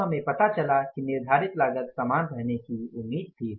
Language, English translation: Hindi, Then we found out that say the fixed cost was expected to remain the same